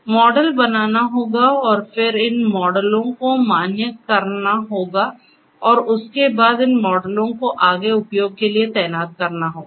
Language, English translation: Hindi, So, models have to be created and then these models will have to be validated and thereafter these models will have to be deployed for further use